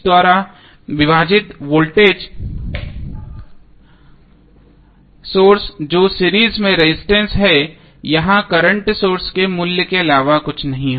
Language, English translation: Hindi, That the voltage source divided by the R Th that is the resistance in series would be nothing but the value of current source here